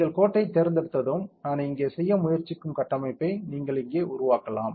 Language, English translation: Tamil, Once you select line, you can make the structure here that is what I am trying to do